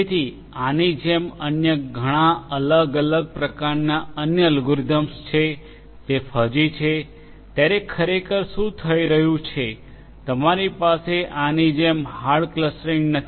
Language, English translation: Gujarati, So, like this there are many many different types of other algorithms that are also there in fuzzy actually what is happening is you do not have hard clustering like this